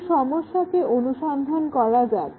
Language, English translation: Bengali, Let us examine that problem